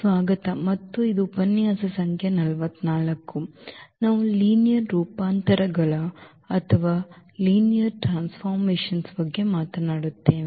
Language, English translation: Kannada, Welcome back and this is lecture number 44 and we will be talking about Linear Transformations